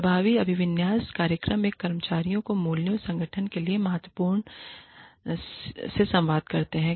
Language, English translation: Hindi, Effective orientation programs, communicate to the new employees, the values, important to the organization